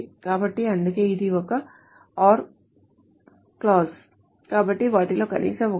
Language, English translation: Telugu, So that is why this is an all clause, so at least one of them